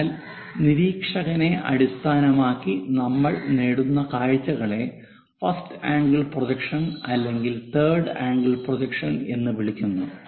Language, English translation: Malayalam, the views whatever we obtain we call that as either first angle projection or the third angle projection